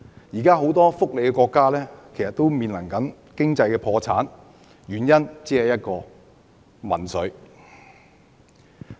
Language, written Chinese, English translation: Cantonese, 現時很多福利國家都正面臨經濟破產，原因只有一個，就是民粹。, Many welfare countries are now on the verge of bankruptcy and the only reason is populism